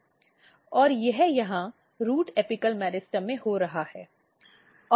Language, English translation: Hindi, And this is happening here in the root apical meristem